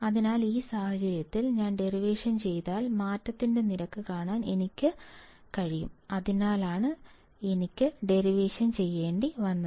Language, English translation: Malayalam, So, in this case if I do the derivation because I want to see the rate of change that is why I had to do derivation